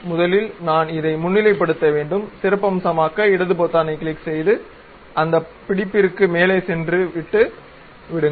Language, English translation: Tamil, So, first of all I have to highlight; highlight means click the left button, go over that hold and leave it